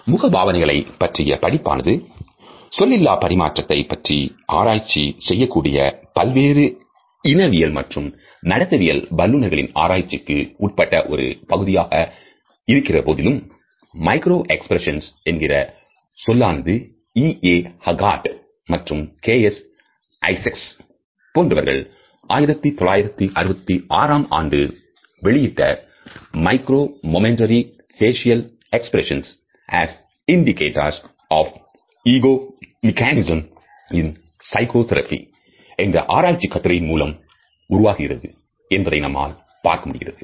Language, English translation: Tamil, Even though the studies of expressions of emotions on human face had been a part of the study programs of various ethnologist and behavioral scientists who had taken of their studies of non verbal aspects of communication, we find that the idea of micro expressions came into existence with the research work of two scholars EA Haggart and KS Isaacs who published a paper in 1966 with the title Micro Momentary Facial Expressions as Indicators of Ego Mechanisms in psychotherapy